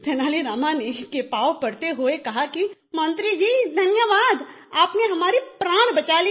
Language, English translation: Hindi, Falling at feet of Tenali Rama, he said, "thank you minister you saved my life